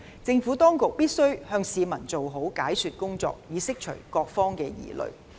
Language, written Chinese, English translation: Cantonese, 政府當局必須向市民做好解說工作，以釋除各方的疑慮。, The Government must do a good job of explaining to the public so as to dispel the doubts of all parties